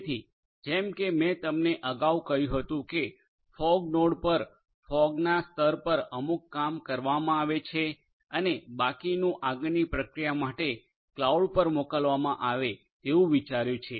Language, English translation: Gujarati, So, as I told you earlier that the idea is to have certain executions done at the fog layer at the fog node and the rest being sent to the cloud for further processing